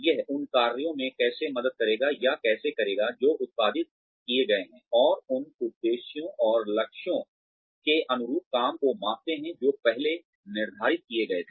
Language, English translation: Hindi, How it will help or how it will go through the work, that has been produced, and measure the work, in line with the objectives and targets, that were set earlier